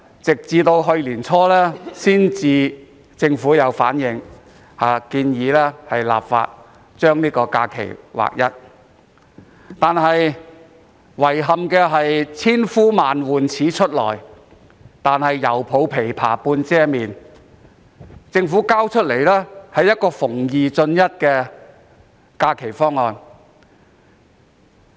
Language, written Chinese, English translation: Cantonese, 政府在去年年初才建議立法劃一假期日數，但遺憾的是"千呼萬喚始出來，猶抱琵琶半遮面"。政府提出一個"逢二進一"的方案。, The Government eventually proposed legislation to align the number of holidays early last year; unfortunately it has adopted an evasive approach in this long - awaited bill by putting forward a 2col1 proposal to increase an additional holiday in every two years